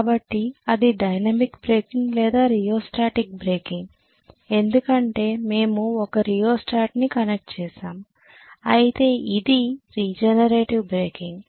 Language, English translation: Telugu, So this is dynamic breaking or rheostatic breaking because we were connecting a rheostat whereas this is regenerator breaking right